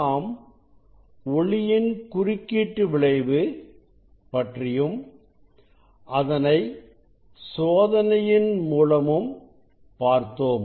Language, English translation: Tamil, we have seen the interference of light and we have demonstrated the experiment also